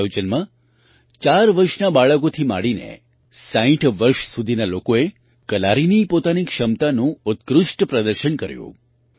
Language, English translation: Gujarati, In this event, people ranging from 4 years old children to 60 years olds showed their best ability of Kalari